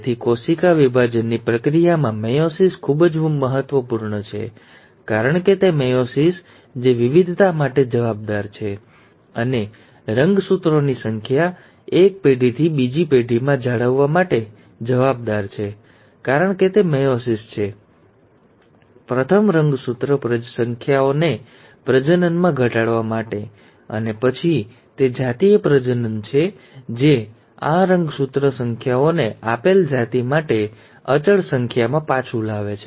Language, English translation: Gujarati, So, meiosis is very important in the process of cell division because it is meiosis which is responsible for variation, and for maintaining the chromosome number from one generation to another, because it is meiosis which is responsible for, for first reducing the chromosome numbers into the gametes, and then its the sexual reproduction which brings back these chromosome numbers to the constant number for a given species